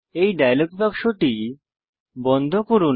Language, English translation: Bengali, Close the Downloads dialog box